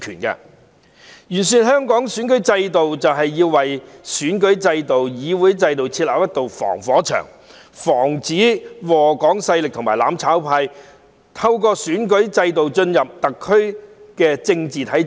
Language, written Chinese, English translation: Cantonese, 完善香港的選舉制度，就是要為選舉制度、議會制度設立一道防火牆，防止禍港勢力和"攬炒派"透過選舉制度進入特區的政治體制。, To improve Hong Kongs electoral system is to set up a firewall for the electoral system and the parliamentary system so as to prevent the powers that scourge Hong Kong and the mutual destruction camp from entering the political system of SAR through the electoral system